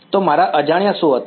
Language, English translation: Gujarati, So, what were my unknowns